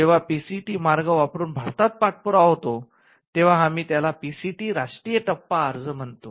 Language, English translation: Marathi, When the follow up happens in India using the PCT route, we call it a PCT national phase application